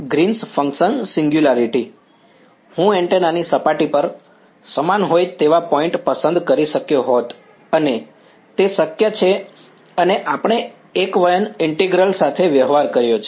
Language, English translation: Gujarati, The Green's function singularity, I could have chosen the points to be on the same on the surface of the antenna right it's possible and we have dealt with singular integrals right